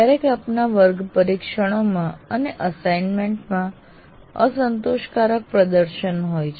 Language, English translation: Gujarati, And sometimes you have unsatisfactory performance in the class tests and assignments